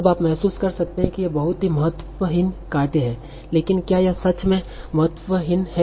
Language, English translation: Hindi, So now you might feel that this is very trivial task, but let us see, is it trivial